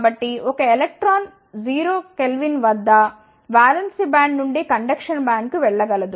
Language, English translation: Telugu, So, electron cannot move easily from valence band to the conduction band